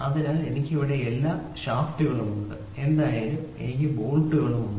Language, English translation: Malayalam, So, I have all the shafts here whatever it is I have the bolts here